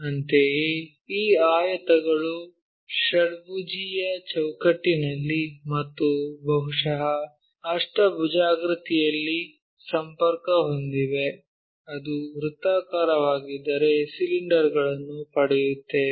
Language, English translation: Kannada, Similarly, these rectangles connected in hexagonal framework and maybe in octagonal, if it is circle we get cylinders